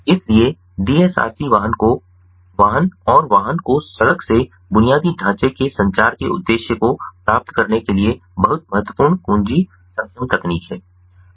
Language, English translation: Hindi, so dsrc is very important, key enabling technology for achieving the objective of vehicle to vehicle and vehicle to roadside infrastructure communication